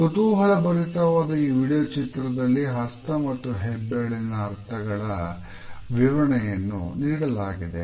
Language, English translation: Kannada, In this interesting video, we find that an explanation of the meanings of hand and thumbs is given